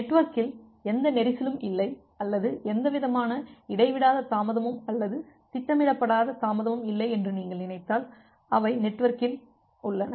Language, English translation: Tamil, If you are thinking of that there is no congestion in the network or there is no kind of uninterrupted delay or unintended delay which is their in the network